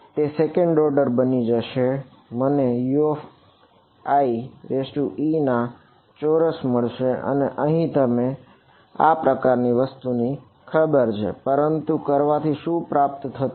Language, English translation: Gujarati, It will become second order I will get a U i squared and you know those kind of thing, but what is the nothing is achieved by doing it